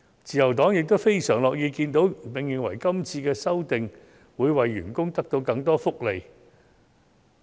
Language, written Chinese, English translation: Cantonese, 自由黨非常樂意看到，並認為這次修訂會為員工帶來更多福利。, Delighted to see all this the Liberal Party considers that the amendment exercise this time around can bring more benefits to employees